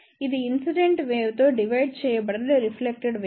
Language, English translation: Telugu, It is a reflected wave divided by incident wave